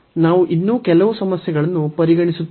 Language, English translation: Kannada, So, we consider few more problems